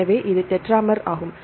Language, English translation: Tamil, So, it is the tetramer right